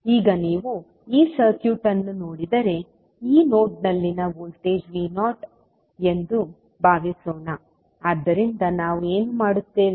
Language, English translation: Kannada, Now, if you see this particular circuit, let us assume that the voltage at this particular node is V naught, so what we will do